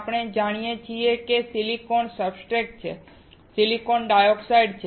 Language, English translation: Gujarati, We see there is silicon substrate and there is silicon dioxide